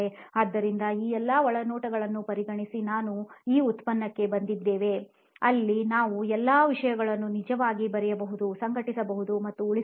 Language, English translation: Kannada, So considering all these insights we have come to this product where we can actually write, organize and save virtually all the content